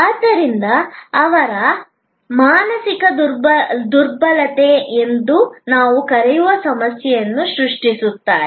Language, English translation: Kannada, So, therefore, they create a problem what we call mental impalpability